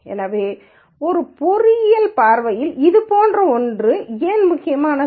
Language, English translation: Tamil, So, from an engineering viewpoint why would something like this be important